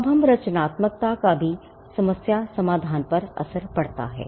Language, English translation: Hindi, Now, creativity also has a bearing on problem solving